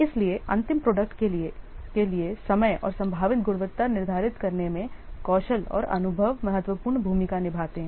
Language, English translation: Hindi, So, skill and experience they play a significant role in determining the time taken and potentially quality of the final product